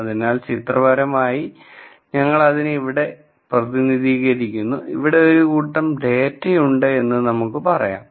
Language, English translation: Malayalam, So, pictorially we represent here, here we say, here is a group of data, here is a group of data